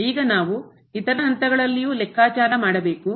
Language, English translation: Kannada, Now we have to also compute at other points